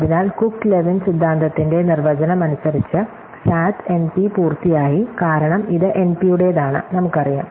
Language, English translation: Malayalam, So, SAT by definition by the Cook Levin theorem is NP complete, because it belongs to NP, we know